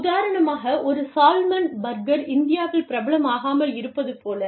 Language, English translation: Tamil, A salmon burger, for example, may not be appreciated, in India